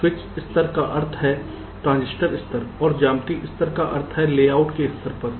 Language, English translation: Hindi, switch level means transitor level and geometric level means at the level of the layouts